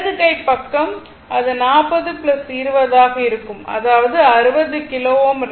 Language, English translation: Tamil, So, right hand side, it will be 40 plus 20; that is your 60 kilo ohm right